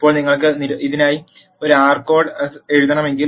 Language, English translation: Malayalam, Now if you want to write an r code for this